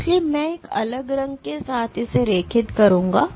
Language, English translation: Hindi, So, I will draw the return with a different colour